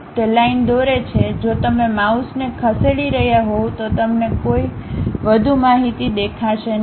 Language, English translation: Gujarati, It draws a line if you are moving mouse you would not see any more information